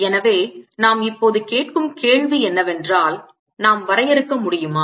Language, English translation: Tamil, the question we are now ask where is, can we define